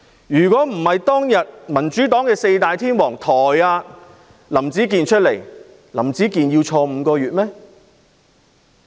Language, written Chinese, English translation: Cantonese, 如果不是因為民主黨"四大天王"，林子健要入獄5個月嗎？, If it were not for the Four Great Kings of the Democratic Party would Howard LAM be imprisoned for five months?